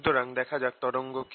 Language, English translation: Bengali, so let us understand what a wave is